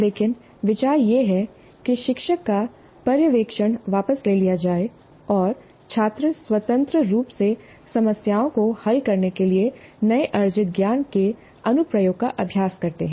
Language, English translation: Hindi, But the idea is that the teachers' supervision is with known and students independently practice the application of the newly acquired knowledge to solve problems